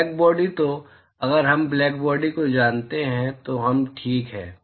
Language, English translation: Hindi, So, if we know black body we are done fine